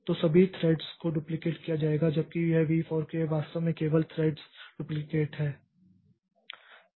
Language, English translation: Hindi, So, all the threads will be duplicated whereas this V fork, this is actually duplicate only the thread